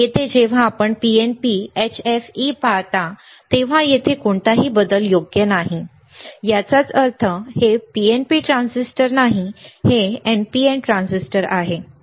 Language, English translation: Marathi, Here when you see PNP HFE there is no change right; that means, that this is not PNP transistor it is not an PNP transistor, and it is an NPN transistor